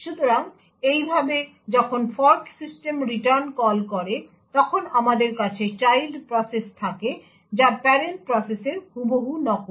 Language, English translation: Bengali, So, thus when the fork system calls return, we have the child process which is exactly duplicate of the parent process